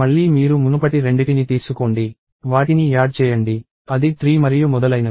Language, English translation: Telugu, Then again you take the 2 previous ones, add them; it is 3 and so on